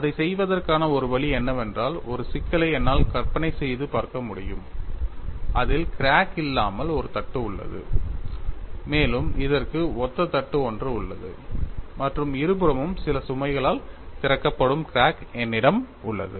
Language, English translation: Tamil, One way of doing it, I can imagine a problem wherein I have a plate without a crack plus I have the similar plate and I have the crack that is opened up by some load on either side